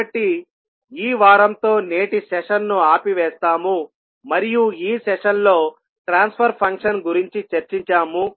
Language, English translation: Telugu, So, with this week cab close over today's session and this session we discuss about the transfer function